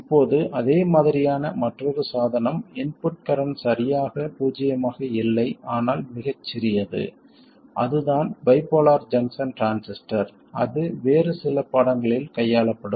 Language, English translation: Tamil, Now another device which is kind of similar, the input current is not exactly zero but very small, that is a bipolar junction transistor that will be treated in some other lesson